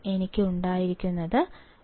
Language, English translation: Malayalam, I had 2